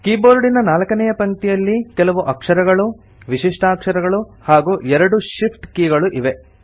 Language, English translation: Kannada, The fourth line of the keyboard comprises alphabets, special characters, and shift keys